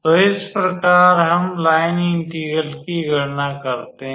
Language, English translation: Hindi, So, this is how we calculate the line integral